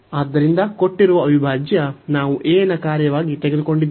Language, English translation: Kannada, So, the given integral, we have taken as a function of a